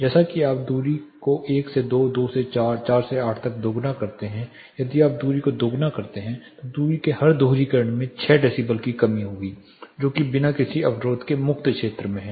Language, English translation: Hindi, As you double the distance from 1 to 2, 2 to 4, 4 to 8, if you double the distance every doubling of distance you will find a reduction of 6 decibels that is in the free field without any obstructions